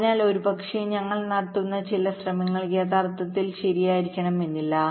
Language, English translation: Malayalam, so maybe some of the efforts that we are putting in are not actually required, right